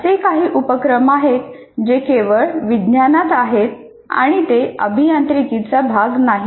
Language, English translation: Marathi, There are some activities which are exclusively in science and they are not as a part of engineering